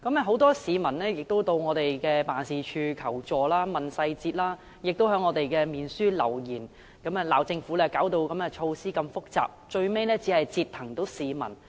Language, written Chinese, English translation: Cantonese, 很多市民來到我們的辦事處求助和查詢細節，亦在我們的臉書上留言，責罵政府制訂了這麼複雜的措施，最後只是折騰市民。, Neither did they know how to calculate the balance . Many members of the public came to our office to seek assistance and enquire about the details . They also left messages on our Facebook page to slam the Government for formulating such a complicated measure which would only end up causing more troubles to them